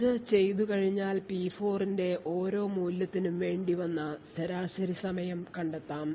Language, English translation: Malayalam, After we do this we find the average time for each value of P4